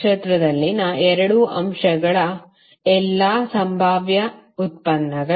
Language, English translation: Kannada, All possible products of 2 elements in a star